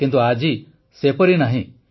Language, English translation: Odia, But today it is not so